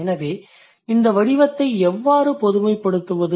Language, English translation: Tamil, So, how to generalize this form